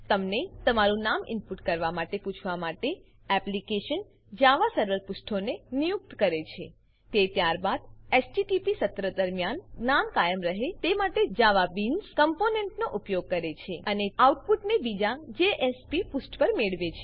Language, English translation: Gujarati, The application employes JavaServer Pages to ask you to input your name It then uses JavaBeans component to persist the name during the HTTP session, and then retrieves the output on a second JSP page